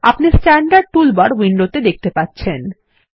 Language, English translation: Bengali, You can see the Standard toolbar on the window